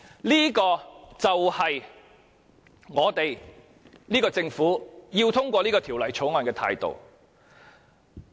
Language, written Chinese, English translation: Cantonese, 這個就是這個政府要通過《條例草案》的態度。, This is the attitude of the Government to get the Bill passed